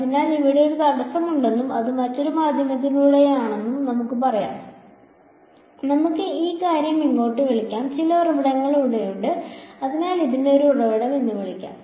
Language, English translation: Malayalam, So, let us say that there is one obstacle over here and it is inside another medium let us call this thing over here and let us say that there are some sources over here ok, so let us call this is a source